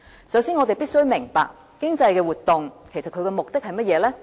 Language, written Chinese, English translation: Cantonese, 首先，我們必須明白，經濟活動的目的是甚麼？, To begin with we must realize the very purpose of economic activities